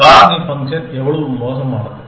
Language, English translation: Tamil, How bad is the factorial function